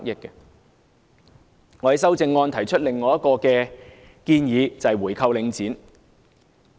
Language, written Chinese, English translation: Cantonese, 我在修正案中提出另一項建議，就是回購領展。, Buying back the Link REIT is another proposal which I have put forward in my amendment